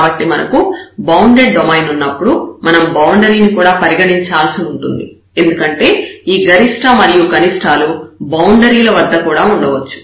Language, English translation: Telugu, So, when we have the bounded domain we have to consider because this maximum minimum may exist at the boundaries